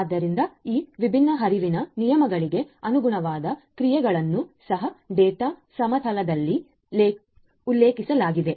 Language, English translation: Kannada, So, then corresponding actions for these different different flow rules are also mentioned in that data plane